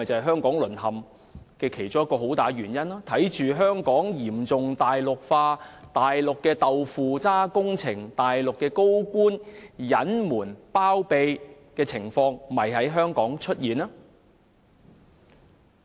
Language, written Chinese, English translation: Cantonese, "香港淪陷"其中一個很大的原因，就是香港嚴重"大陸化"，以往只會在大陸看到的"豆腐渣"工程和高官隱瞞包庇的情況，現已在香港出現。, One of the major reasons for the fall of Hong Kong is the serious Mainlandization of Hong Kong . In the past tofu - dreg projects and cases of top officials concealing or covering up such problems were only found on the Mainland but now these are also seen in Hong Kong